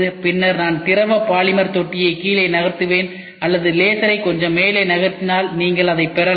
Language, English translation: Tamil, So, one layer is formed, then either I move the liquid polymer tank down or I move the laser little up you try to get it